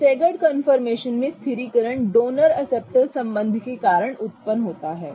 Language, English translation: Hindi, The stabilization in the staggered confirmation arises because of a donor acceptor kind of relationship